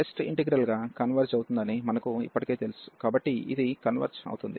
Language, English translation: Telugu, And we know already that the test integral converges, so this converges so this integral converges